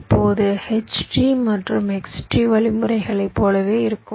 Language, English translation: Tamil, now, just like ah, your h tree and x tree algorithms